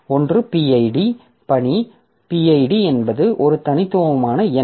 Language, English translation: Tamil, One is the PID, task PID, which is a unique number